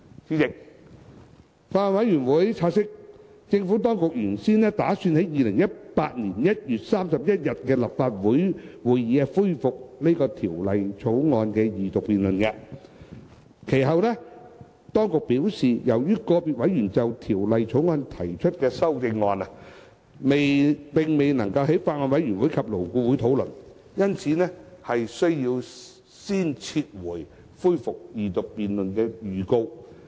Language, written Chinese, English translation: Cantonese, 主席，法案委員會察悉，政府當局原先打算在2018年1月31日的立法會會議上恢復《條例草案》的二讀辯論，其後當局表示，由於個別委員就《條例草案》提出的修正案並未在法案委員會及勞顧會討論，因此須先撤回恢復二讀辯論的預告。, President the Bills Committee has noted that the Administration had intended to resume the Second Reading debate on the Bill at the Legislative Council meeting of 31 January 2018 . The Administration had subsequently indicated that it had to withdraw the notice to resume the Second Reading debate because an individual member had proposed amendments to the Bill which had never been discussed at the Bills Committee and LAB